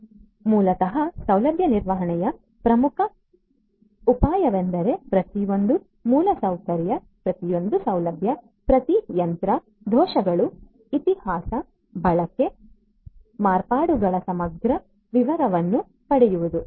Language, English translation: Kannada, So, basically the key idea of facility management is to get an a comprehensive detail of each and every infrastructure every facility every machine, the faults, the history, usage, modification